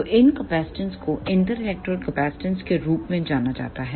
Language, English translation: Hindi, So, these capacitances are known as inter electrode capacitances